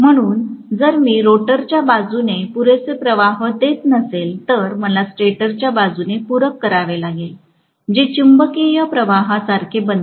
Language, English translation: Marathi, So, if I do not provide enough flux from the rotor side, I have to supplement it from the stator side, which becomes like a magnetising current